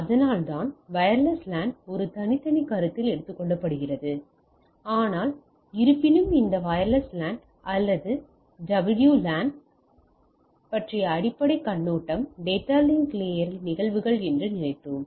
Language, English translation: Tamil, So, so, that is why wireless LAN is a separate consideration, but nevertheless what we thought that a basic overview of this wireless LAN or WLAN at phenomena at data link layer